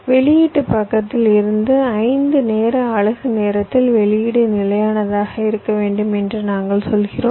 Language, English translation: Tamil, from the output side we are saying that, well, at time into of five, i want the output to be stable